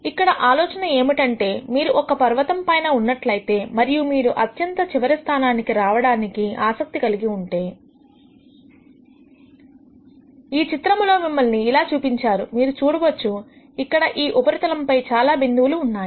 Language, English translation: Telugu, The idea here is the following, if you are on the top of a mountains keying and you are interested in reaching the bottom most point from where you are pictorially shown through this picture here, you will see that there are several different points in this surface